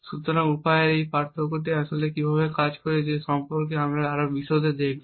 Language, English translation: Bengali, So, we will look more in detail about how this difference of means actually works